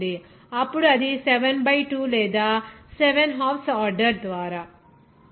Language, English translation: Telugu, 5, then it will be equal to 7 by 2 or seven halves order